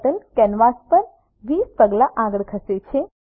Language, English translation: Gujarati, Turtle moves 20 steps forward on the canvas